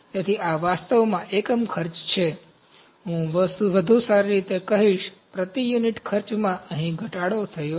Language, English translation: Gujarati, So, this is actually unit cost, I would better say, the cost per unit is reduced here